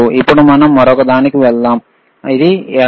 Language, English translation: Telugu, Now, let us move to the another one, which is this one